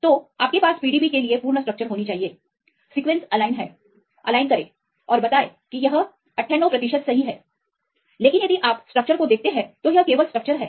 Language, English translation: Hindi, So, you should have the complete structure for this the PDB, sequence wise is align; align and tell it is 98 percent right, but if you see the structure it is only partial structure